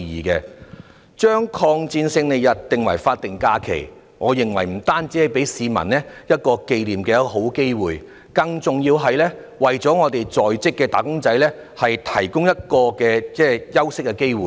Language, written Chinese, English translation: Cantonese, 把抗日戰爭勝利紀念日列為法定假日，我認為不僅給予市民一個紀念的好機會，更重要的是，為在職的"打工仔"提供休息的機會。, I think that designating the Victory Day as a statutory holiday will not only provide members of the public a good opportunity to commemorate . More importantly it will also provide a chance for the wage earners to take a break